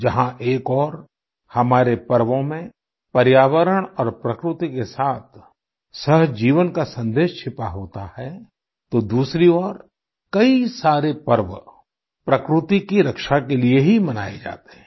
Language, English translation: Hindi, On the one hand, our festivals implicitly convey the message of coexistence with the environment and nature; on the other, many festivals are celebrated precisely for protecting nature